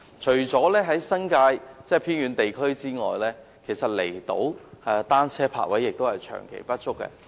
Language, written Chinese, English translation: Cantonese, 除在新界外，離島的單車泊位亦長期不足。, The New Territories aside the outlying islands also face a persistent shortage of bicycle parking spaces